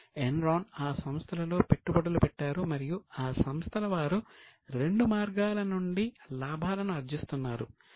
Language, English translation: Telugu, So, Enron was making investment in those firms and they were making profits from both the ways